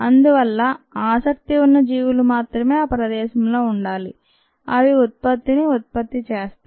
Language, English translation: Telugu, therefore, only the organisms of interest need to be present in that space that produces the product